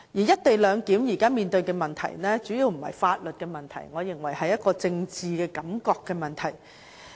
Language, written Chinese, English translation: Cantonese, "一地兩檢"現時所面對的問題，主要不是法律的問題，我認為是政治感覺的問題。, The problem currently faced by the co - location arrangement is mainly not a question of law but a question of impression in politics